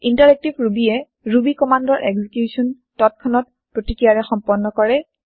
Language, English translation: Assamese, Interactive Ruby allows the execution of Ruby commands with immediate response